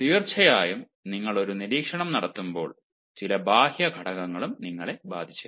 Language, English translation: Malayalam, of course, when you are making an observation, there are certain external factors also that may, at times, affect you